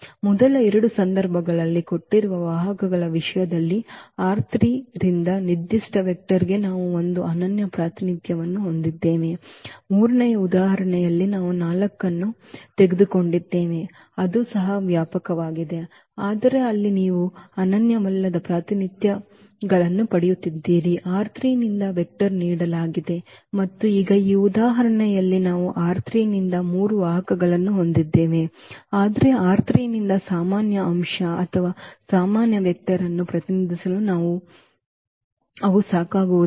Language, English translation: Kannada, In the first two cases we had a unique representation for a given vector from R 3 in terms of the given vectors, in the third example where we have taken 4 that was also spanning set, but there you are getting non unique representations of a given vector from R 3 and now in this example though we have three vectors from R 3, but they are not sufficient to represent a general element or general vector from R 3